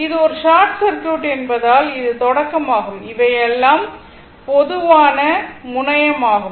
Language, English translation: Tamil, And as it is a short circuit, means this is this start this one, this one, this one, this one, everything is a common terminal